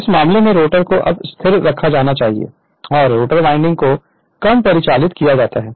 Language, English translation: Hindi, So, in this case so in this case let the rotor be now held stationary and the rotor winding is short circuited